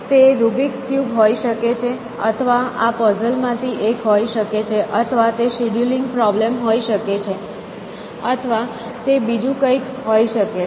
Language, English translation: Gujarati, So, it could be the rubrics cube or it could be one of these puzzles or it could be a scheduling problem or it could be something different essentially